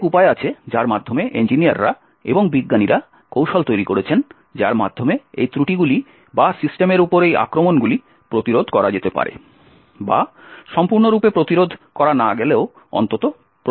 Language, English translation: Bengali, So there are many ways by which engineers and scientists have developed techniques by which these flaws or these attacks on systems can be actually prevented or if not completely prevented at least mitigated